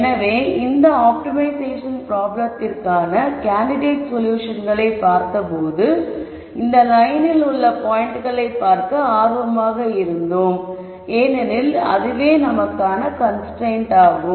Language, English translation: Tamil, So, when we looked at candidate solutions for this optimization problem we were looking at the points on this line that that we are interested in because that is a constraint